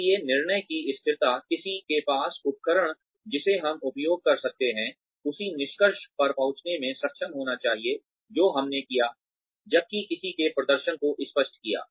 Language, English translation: Hindi, So, consistency of judgement, anyone with the tools, that we are using, should be able to arrive at the same conclusion, that we did, while appraising somebody's performance